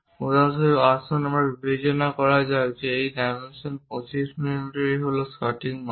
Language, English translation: Bengali, For example, let us consider this dimension is 25 mm, this one 25 mm is correct fit